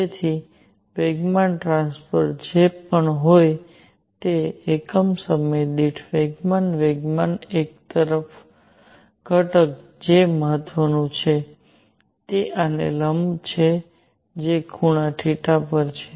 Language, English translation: Gujarati, So, momentum per unit time whatever momentum transfer is there; the only component of momentum that matters is this perpendicular to this which is at an angle theta